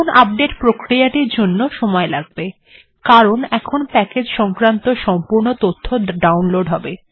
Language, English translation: Bengali, So now the update process will take time because it has to download the entire package information